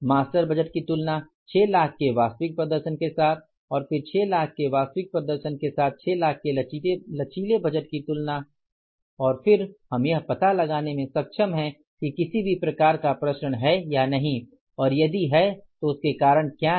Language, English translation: Hindi, Comparison of the master budget with the actual performance of 6 lakhs and then the comparison of the flexible budget of 6 lakhs with the actual performance of 6 lakhs and then we will be able to find out is there any kind of variance and if it is then what are the reasons for that